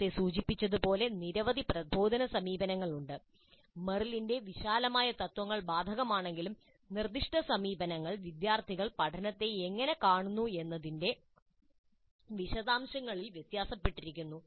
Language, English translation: Malayalam, So as I mentioned, there are several instructional approaches and though the broad principles of material are applicable, the specific approaches do differ in the details of how they look at the learning by the students